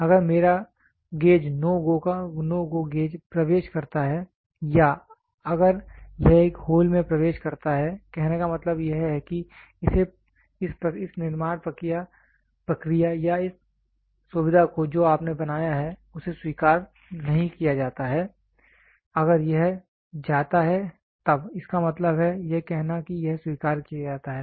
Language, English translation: Hindi, If my gauge of NO GO enters into or if it enters into a hole then; that means to say this manufacturing process or this feature whatever you have made is not accepted, if it goes then; that means, to say it is accepted